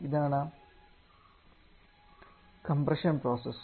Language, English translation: Malayalam, This is the compression process